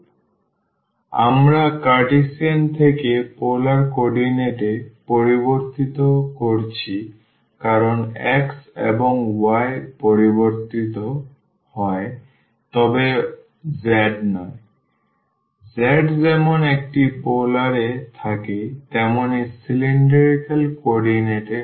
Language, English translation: Bengali, So, we are changing from Cartesian to polar coordinates because the x and y are changed not the z; z remains as it is in the polar in this is the cylindrical coordinates